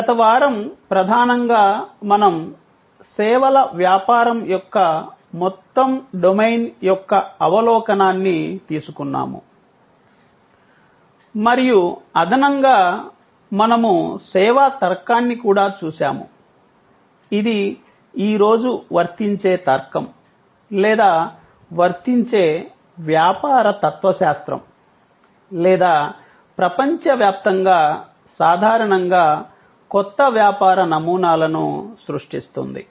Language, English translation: Telugu, Last week, mainly we took an overview of the whole domain of services business and in an edition; we also looked at the service logic, which today is an applicable logic or an applicable business philosophy or creating new business models in general across the world